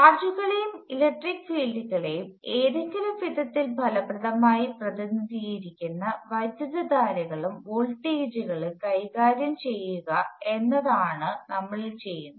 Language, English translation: Malayalam, Now what we will do is deal with currents and voltages which effectively represent charges and electric fields in some way